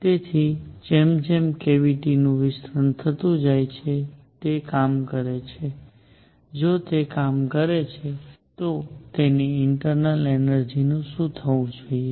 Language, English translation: Gujarati, So, as the cavity expands, it does work, if it does work, what should happen to its internal energy